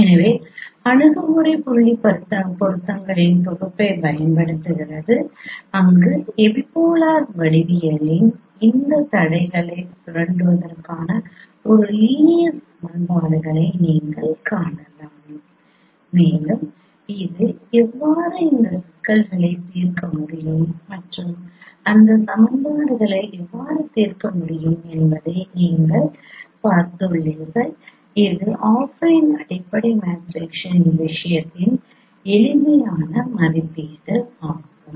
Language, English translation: Tamil, So that approach was using the set of correspondence points where you can form a linear equations exploiting these constraints of epipolar geometry and we have seen how it you can solve those problems solve those equations which becomes simpler for the case of affine fundamental matrix estimation